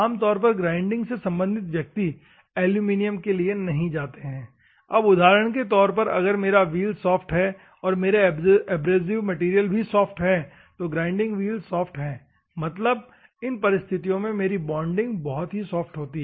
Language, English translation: Hindi, Normally grinding people won’t do aluminium for example, if I have a soft wheel what will happen this material is soft and my grinding wheel is also softer; soft means, my bonding is very soft in that circumstances